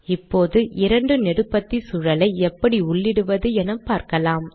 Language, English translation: Tamil, Let us now see how to include a two column environment